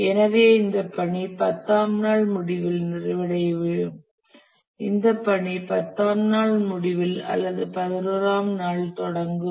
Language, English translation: Tamil, So, this task will complete at the end of day 10 and this task will start at the end of day 10 or that is beginning of day 11